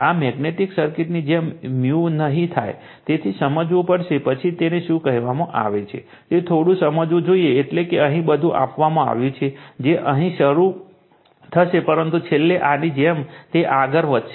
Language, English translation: Gujarati, This did not much we will just as is a magnetic circuit, so you have to explain, then you have to your what you call little bit understand on that, so that means, everything is given here, that from here it will start, but finally, it will move like this right